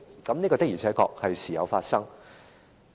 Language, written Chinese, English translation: Cantonese, 這些事件的確是時有發生的。, These cases do occur from time to time